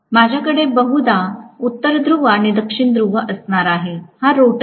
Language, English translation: Marathi, I am probably going to have North Pole and South Pole; this is the rotor right